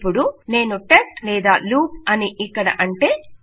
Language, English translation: Telugu, Now if I say test or loop here